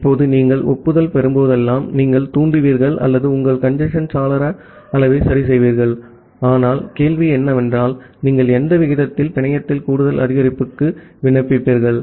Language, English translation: Tamil, Now, whenever you are getting an acknowledgement, you will you will trigger or you will adjust your congestion window size, but the question comes that at what rate you will apply additive increase in the network